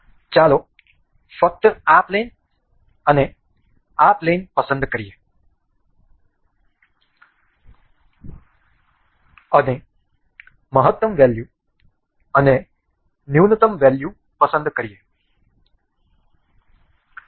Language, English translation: Gujarati, Let us just select this plane and this plane and will select a maximum value and a minimum value